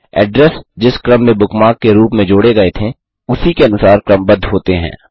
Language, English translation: Hindi, The address are sorted by the order in which they were added as bookmarks